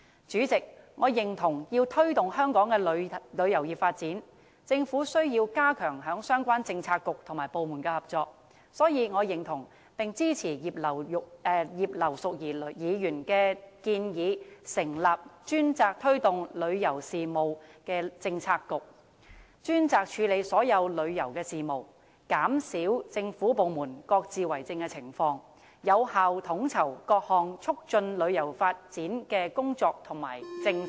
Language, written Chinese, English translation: Cantonese, 主席，我認為要推動香港的旅遊業發展，政府需要加強相關政策局和部門的合作，所以我認同並支持葉劉淑儀議員的建議，成立專責推動旅遊事務的政策局，專責處理所有旅遊事務，減少政府部門各自為政的情況，並有效地統籌各項促進旅遊發展的工作和政策。, President in order to promote the development of the tourism industry of Hong Kong the Government has to strengthen cooperation among relevant Policy Bureaux and departments . Thus I agree to and support Mrs Regina IPs proposal of setting up a Policy Bureau dedicated to promoting tourism and handling all tourism matters . This will lessen the problem of lack of coordination among departments and be conducive to effectively coordinating different work and policies to promote tourism development